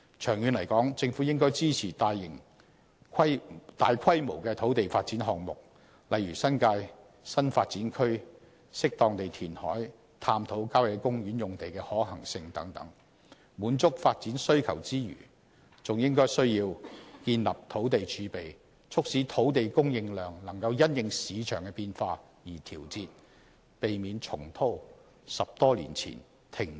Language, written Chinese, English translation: Cantonese, 長遠而言，政府應支持大規模的土地發展項目，例如新界新發展區、適當地填海造地、探討郊野公園用地的可行性等，在滿足發展需求之餘，還要建立土地儲備，讓土地供應量可因應市場變化而調節，避免重蹈10多年前停止造地的覆轍。, In the long run the Government should support major land development projects such as developing new development areas in the New Territories creating land through an appropriate degree of reclamation exploring the feasibility of using country park sites and so on so as to meet the need of development and build up a land reserve so that land supply can be adjusted according to the changing demand in the market . This would help avoid repeating the mistake of aborting the creation of land more than 10 years ago